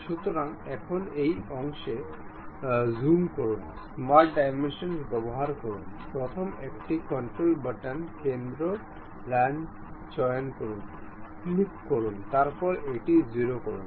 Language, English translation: Bengali, So, now, zoom in this portion, use smart dimension; pick the first one control button, center line, click ok, then make it 0